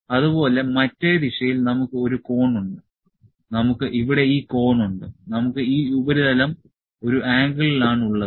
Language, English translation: Malayalam, So, also we have a cone in the other direction, we have this cone here, we have this surface at an angle